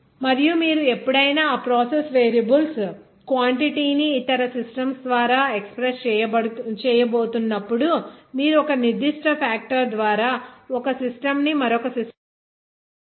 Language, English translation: Telugu, And but whenever you are going to express that process variables quantity by other systems, then you have to convert into one system to another system by a certain factor